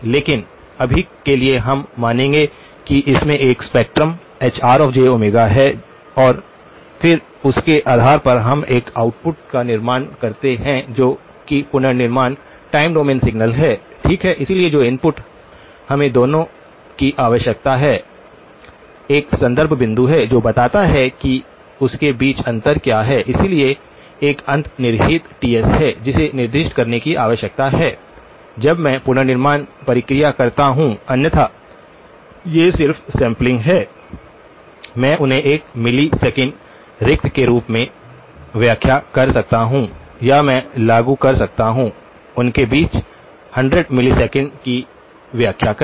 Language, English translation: Hindi, But for now, we will assume that this has a spectrum Hr of j omega and then based on that we produce an output which is the reconstructed time domain signal, okay so the inputs that we need to give; one is reference point which tells what is the spacing between that so, there is a underlying Ts that needs to be specified, when I do the reconstruction process because otherwise, these are just samples, I could interpret them as one milli second spacing or I could implement; interpret them as 100 milli seconds between them